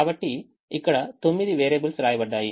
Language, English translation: Telugu, so there are nine variables which are here, which are written